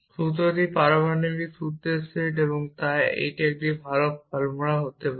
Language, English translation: Bengali, defining this formula set formula is set of atomic formula and so on it must be a well form formula